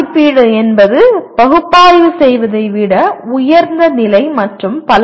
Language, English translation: Tamil, Evaluate is higher level than Analyze and so on